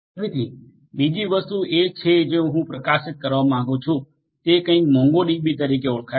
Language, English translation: Gujarati, So, another thing that I would like to highlight over here is something known as the MongoDB